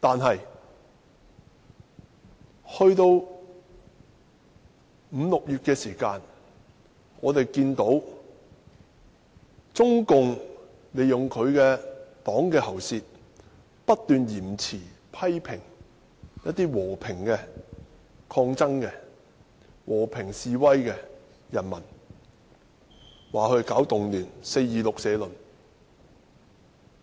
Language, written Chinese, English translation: Cantonese, 然而，五六月時，我們看到中共利用黨的"喉舌"，不斷批評和平示威抗爭的人民，指責他們搞動亂，發表了"四二六社論"。, However when May and June arrived we saw that the mouthpiece of CPC kept criticizing the peaceful demonstrators calling the movement a riot in the editorial of the Peoples Daily on 26 April